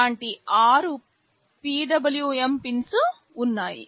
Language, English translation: Telugu, There are six such PWM pins